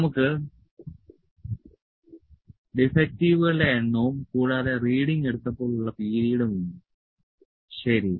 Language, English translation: Malayalam, And we have number of defectives and the period when the reading is taken, ok